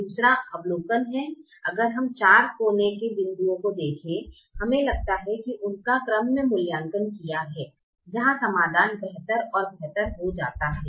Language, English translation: Hindi, second observation is: if we look at the four corner points, we seem to have elevated them in the order where the solution gets better and better